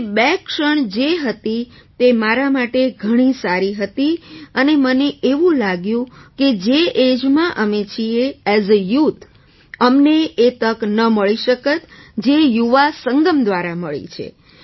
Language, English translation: Gujarati, So those two moments were very good for me and I feel that in the age in which we are as a youth, we do not get the opportunity that we got through the Yuva Sangam